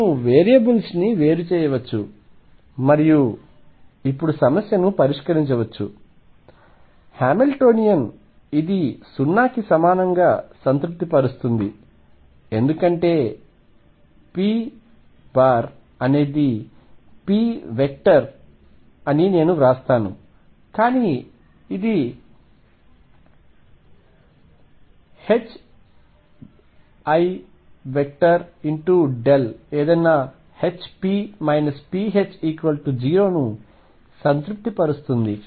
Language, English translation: Telugu, We can do separation of variables and solve the problem now again the Hamiltonian satisfies this equal to 0 because p, vector let me write this is a vector is nothing but h cross over i times the gradient operator any can satisfy yourself that this satisfies hp minus p H equal 0